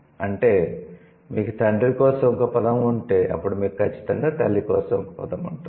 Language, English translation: Telugu, That means you have a word for the male parent, then you would surely have a word for the female parent